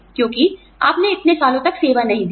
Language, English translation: Hindi, Because, you have not served for so many years